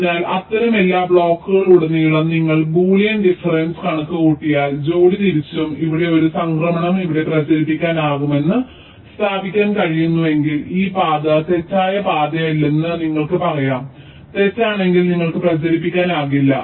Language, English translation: Malayalam, so across every such blocks, pair wise, if you compute the boolean difference and if you cannot establish that a transition here can propagate, here you can say that this path is not false